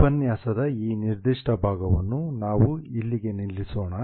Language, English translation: Kannada, We'll stop here for this particular part of the lecture